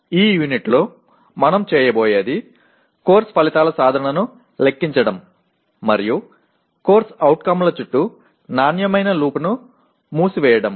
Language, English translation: Telugu, In this unit what we will be doing is compute the attainment of course outcomes and close the quality loop around COs